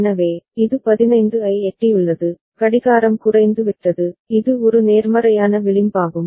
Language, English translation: Tamil, So, it has reached 15, the clock has gone low that it is a positive edge triggered ok